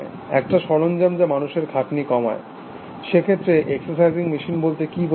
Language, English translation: Bengali, A device that reduces human effort, what about an exercising machine